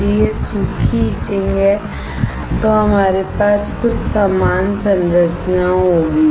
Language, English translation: Hindi, If it is dry etching, we will have something similar structure